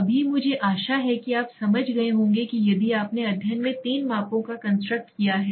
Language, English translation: Hindi, Now I hope you understand that if you have supposed three measurements constructs in the study